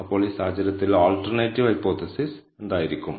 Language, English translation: Malayalam, So, what will the alternate hypothesis be in this case